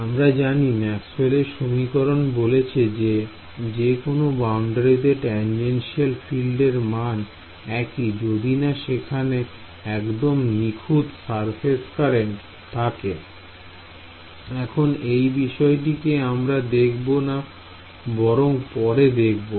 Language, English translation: Bengali, Right so, we know Maxwell’s equation say that the fields the tangential fields that any boundary are the same unless there is some pure surface current let us ignore that for the we can deal with it later